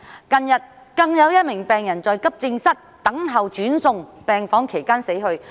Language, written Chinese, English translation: Cantonese, 近日更有一名病人在急症室等候轉送病房期間死去。, Recently a patient even died while he was waiting at the AE department for transfer to the ward